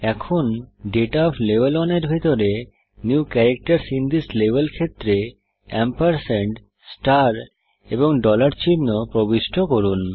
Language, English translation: Bengali, Now, under Data of Level 1, in the New Characters in this Level field, enter the symbols ampersand, star, and dollar